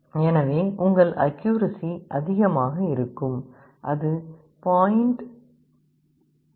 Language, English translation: Tamil, So, your accuracy will be higher, 0